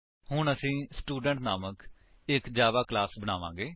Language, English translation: Punjabi, We will now create a Java class named Student